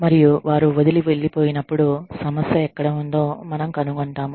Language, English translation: Telugu, And, when they leave, we find out, where the problem was